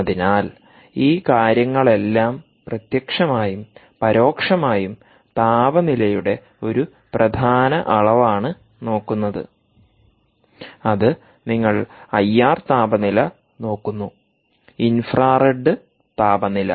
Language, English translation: Malayalam, ok, so all these things it directly and indirectly, are just looking at this one important measurement of temperature which essentially is you are actually looking at the i r temperature, infrared temperature